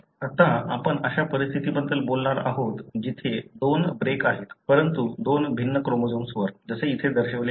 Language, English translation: Marathi, Now, we are going to talk about conditions where there are two breaks, but on two different chromosomes like that is shown here